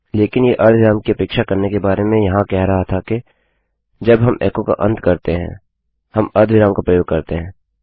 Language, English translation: Hindi, But what it was saying about expecting a semicolon was that when we end an echo, we use a semicolon